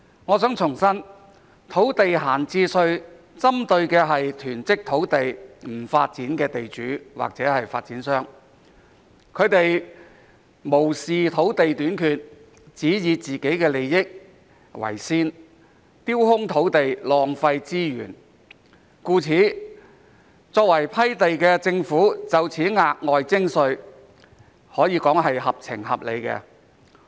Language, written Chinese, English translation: Cantonese, 我想重申，土地閒置稅針對的是囤積土地不發展的地主或發展商，他們無視土地短缺，只以自己的利益為先，丟空土地，浪費資源，故此作為批地的政府就此額外徵稅，可說是合情合理。, I wish to reiterate that an idle land tax is targeted at the land owners or developers who hoard land without developing it . They have no regard for shortage of land and leave their land idle for their own interests thus causing a waste of resources . Therefore it is reasonable and fair for the Government being responsible for granting land to introduce an additional tax in this regard